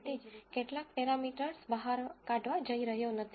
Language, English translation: Gujarati, Nonetheless I am not going to explicitly get some parameters out